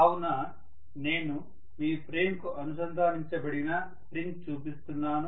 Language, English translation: Telugu, So I am showing a spring which is attached to your frame